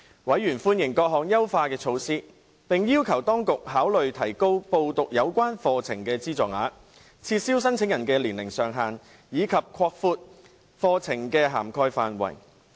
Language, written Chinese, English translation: Cantonese, 委員歡迎各項優化措施，並要求當局考慮提高報讀有關課程的資助額、撤銷申請人的年齡上限，以及擴闊課程的涵蓋範圍。, Members welcomed the various enhancement measures and requested the authorities to consider the idea of increasing the amount of subsidy for enrolling on the relevant programmes lifting the age limit on applicants and expanding programme coverage